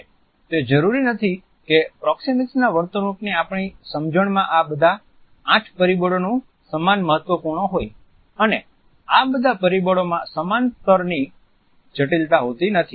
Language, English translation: Gujarati, It is not necessary that in our understanding of the proxemic behavior all these eight factors are equally important